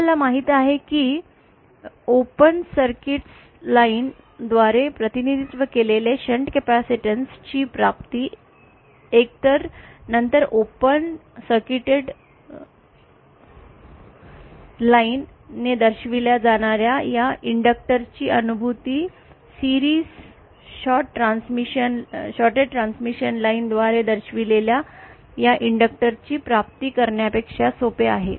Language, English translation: Marathi, As we know realisation of shunt capacitance represented by open circuit line is either then the realisation of this inductor represented by open circuited line is easier than the realisation of this inductor represented by a shorted transmission line in series